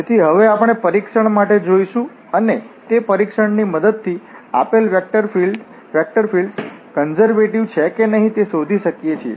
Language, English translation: Gujarati, So, now, we will go for the test with the help of that test we can find out whether the given vector field is conservative or not